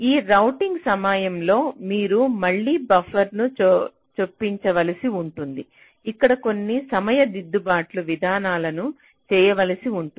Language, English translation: Telugu, so during this routing you may have to again insert buffers, you may have carryout some timing correction mechanisms here